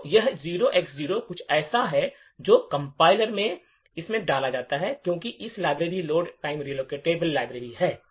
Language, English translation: Hindi, So, this 0X0 is something what the compiler has put in because, this library is Load Time Relocatable library